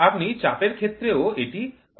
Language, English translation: Bengali, You can also do for pressure